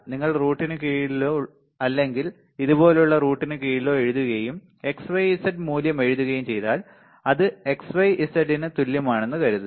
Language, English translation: Malayalam, If you just write under root or just under root like this and then write x, y, z value that is consider that it is equivalent to x, y, z all right